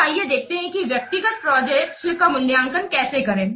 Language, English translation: Hindi, Now, let's see how to evaluate the individual projects